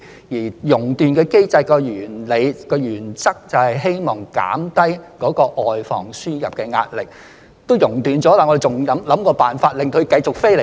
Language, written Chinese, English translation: Cantonese, 因為"熔斷機制"的原理及原則，就是希望減低外防輸入的壓力，既然"熔斷"了，我們為何還要設法令她們繼續飛過來呢？, It is because the rationale and principle behind the flight suspension mechanism is to reduce the pressure on our efforts to prevent the importation of cases so why should we attempt to keep them flying here if they have been suspended?